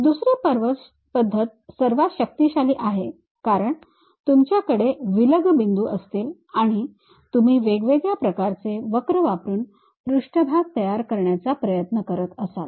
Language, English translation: Marathi, The second method is most powerful because you will be having isolated discrete points and you try to construct surfaces using different kind of curves through which